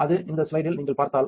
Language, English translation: Tamil, That, if you if you see this slide